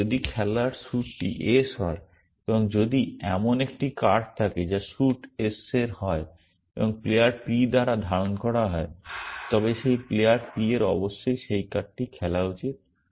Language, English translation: Bengali, And if the suit in play is s and if there is a card which is of suit s and being held by player p then that player p should play that card essentially